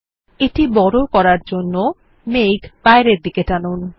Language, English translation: Bengali, To enlarge it, drag the arrow outward